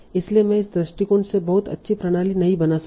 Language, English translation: Hindi, So I cannot design a very good system by this approach